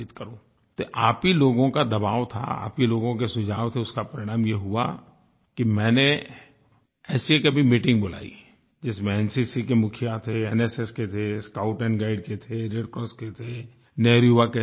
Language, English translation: Hindi, It was under pressure from you people, following your suggestions, that I recently called for a meeting with the chiefs of NCC, NSS, Bharat Scouts and Guides, Red Cross and the Nehru Yuva Kendra